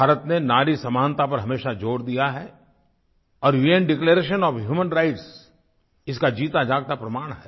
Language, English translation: Hindi, India has always stressed on the importance of equality for women and the UN Declaration of Human Rights is a living example of this